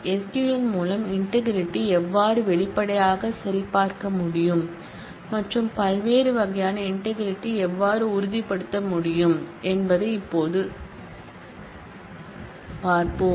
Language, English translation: Tamil, We will now see how explicitly integrity can be checked and how different kinds of integrity can be ensured through SQL